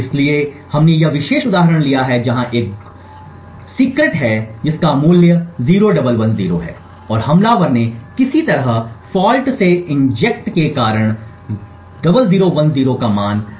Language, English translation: Hindi, So we have taken this particular example where a which is secret has a value of 0110 and the attacker has somehow due to the fault injection change the value of a to 0010